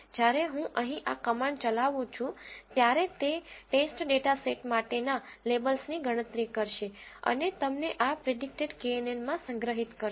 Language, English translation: Gujarati, When I execute this whole command here, it will calculate the labels for the test data set and store them in this predicted knn